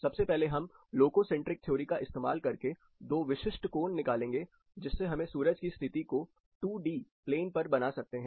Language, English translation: Hindi, The first step is to get into a loco centric theory and get two typical angles to map the sun’s position on a two dimensional plane, sun has 3D movement